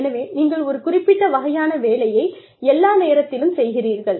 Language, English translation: Tamil, So, you do a certain kind of work, all the time